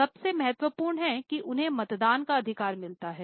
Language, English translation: Hindi, The most important is they have got voting right